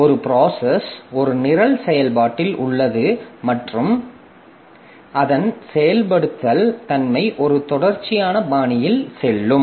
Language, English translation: Tamil, So, a process is a program in execution, and its execution will go in a sequential fashion